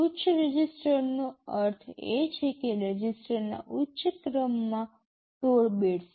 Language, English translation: Gujarati, High register means the high order 16 bits of the registers